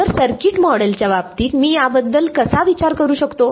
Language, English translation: Marathi, So, in terms of a circuit model, how can I think of this